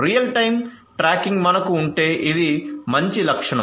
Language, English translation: Telugu, So, real time tracking if we can have this would be a good feature